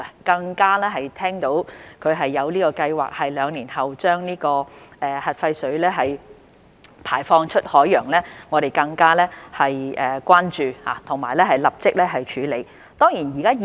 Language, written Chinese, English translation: Cantonese, 當知悉日方有計劃在兩年後將核廢水排放出海洋後，我們更為關注，並已立即着手處理。, Upon learning Japans plan to discharge nuclear wastewater into the sea in two years time we have heightened our concern and taken immediate action in response